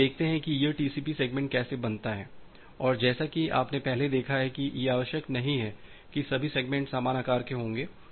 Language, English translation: Hindi, Now, how let us see how this TCP segments are being formed and as you have seen earlier, that it is not necessary that all the segments will be of equal size